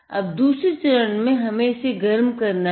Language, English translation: Hindi, Now what we have to do step two, is to heat it